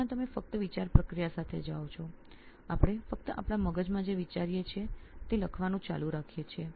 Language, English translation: Gujarati, But whereas, in writing you just go with the thought process, we just keep writing what we are thinking in our head